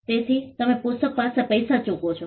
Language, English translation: Gujarati, So, you pay money for the book